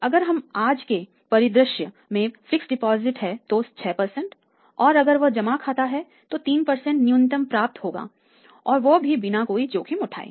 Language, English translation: Hindi, And if it is a fixed deposit in today's scenario 26% we are getting minimum and if it is a savings deposit minimum 3% is assured to us and without out any risk right